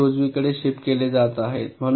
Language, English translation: Marathi, ok, so these are getting shifted right